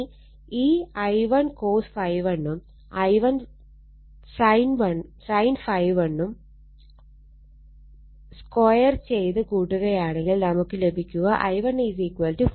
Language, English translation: Malayalam, So, this I 1 cos phi 1 I 1 sin phi 1 you square and add it, right if you do so, you will get I 1 is equal to 43